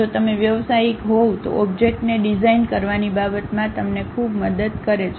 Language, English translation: Gujarati, If you are a professional this gives you enormous help in terms of designing the objects